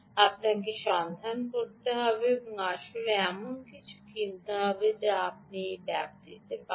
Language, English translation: Bengali, you have to look out and actually purchase something that you will get in that range